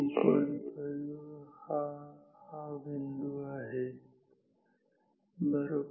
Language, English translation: Marathi, 5, this is this point right